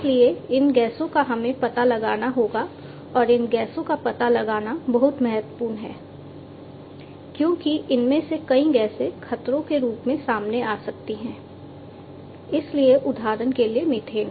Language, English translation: Hindi, So, these gases we will have to be detected and it is very important to detect these gases, because many of these gases can pose as hazards, because for example, methane